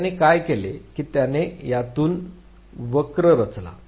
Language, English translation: Marathi, So, what he did was he plotted a curve out of it